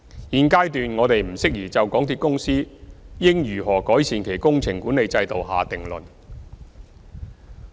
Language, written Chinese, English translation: Cantonese, 現階段我們不適宜就港鐵公司應如何改善其工程管理制度下定論。, At the present stage we are not in a position to draw a conclusion on how MTRCL should improve its project management system